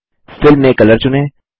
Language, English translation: Hindi, Under Fill , select Color